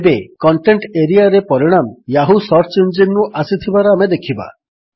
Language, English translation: Odia, This time we see that the results in the Contents area are from the Yahoo search engine